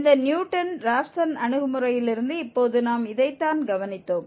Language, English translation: Tamil, This is what we have observed now from this Newton Raphson approach